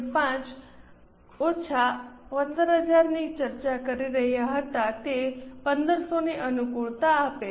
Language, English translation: Gujarati, 5 minus 15,000, It gives a variance of 1 500 favorable